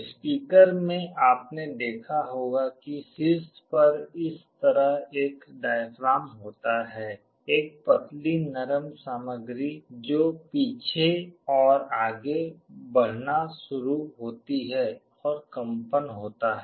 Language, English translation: Hindi, In a speaker you must have seen there is a diaphragm like this on top a thin soft material that also starts moving back and forward, and there is a vibration